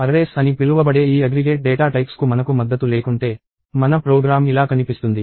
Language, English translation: Telugu, And if I did not have support for these aggregate data types called arrays, my program would look something like this